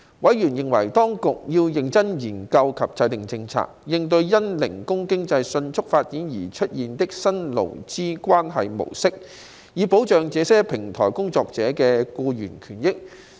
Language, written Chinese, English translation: Cantonese, 委員認為當局要認真研究及制訂政策，應對因零工經濟迅速發展而出現的新勞資關係模式，以保障這些平台工作者的僱員權益。, Members considered that the Administration had to seriously conduct studies and formulate policies on the new labour relations pattern arising from the rapid development of the gig economy so as to protect the employees rights and benefits of these digital platform workers